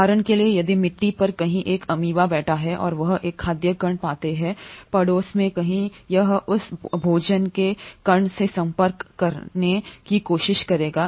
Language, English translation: Hindi, For example if there is an amoeba sitting somewhere on the soil and it finds a food particle, somewhere in the neighbourhood, it will try to approach that food particle